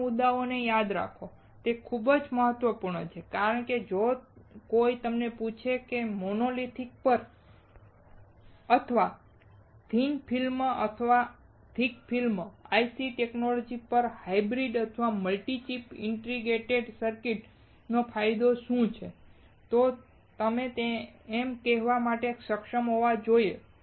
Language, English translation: Gujarati, Remember these points, it is very important because if somebody ask you, what are the advantaged of hybrid or multi chip indicator circuits over monolithic or over thin frame and thick frame IC technology, you must be able to tell it